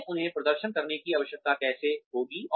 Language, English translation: Hindi, How will we need them to perform